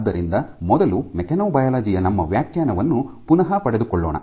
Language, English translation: Kannada, So, let me first recap our definition of mechanobiology